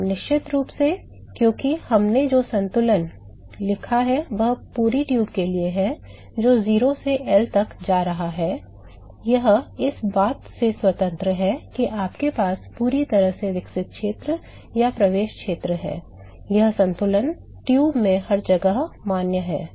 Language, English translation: Hindi, Yeah, sure because this balance we wrote this is for the whole tube, going from 0 to L; this is the independent of whether you have a fully developed region or an entry region, this balance is valid everywhere in the tube